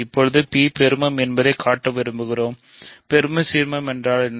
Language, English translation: Tamil, Now I want to show that P is maximal, what is a maximal ideal